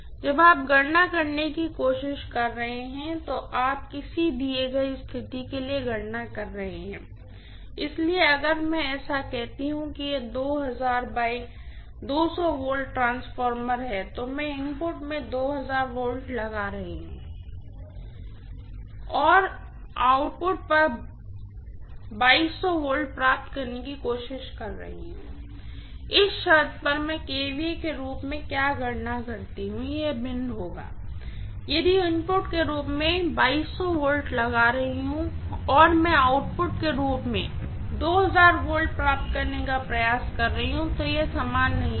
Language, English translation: Hindi, When you are trying to calculate you are calculating for a given situation, so if I try so say that it is a 2000 by 200 volts transformer and I am applying 2000 volts in the input and I am trying to derive 2200 volts at the output, at this condition what I calculate as kVA would be different from, if am applying 2200 volts as input and I am trying to derive 2000 volts as output, it will not be the same